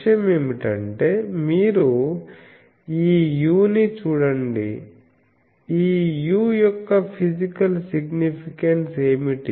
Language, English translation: Telugu, The point is you see this u, what is the physical significance of this u